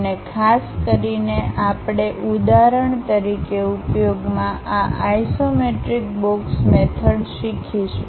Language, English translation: Gujarati, And especially we will learn this isometric box method in using an example